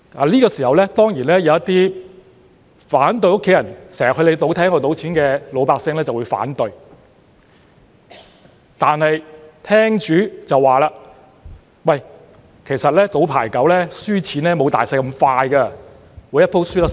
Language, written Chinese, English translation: Cantonese, 這時候，當然會有一些反對家人經常去你的賭廳賭錢的老百姓反對，但廳主卻說："其實賭牌九輸錢沒有'賭大細'般快，每一回輸得會較少"。, Then you decided to introduce the game of Pai Kau . Certainly there would be some people who opposed their family members to go to the gambling hall to gamble money too often . But the operator of the gambling hall said In the game of Pai Kau gamblers do not lose money as fast as they do in Sic Bo and they can keep their loss to a minimum in each round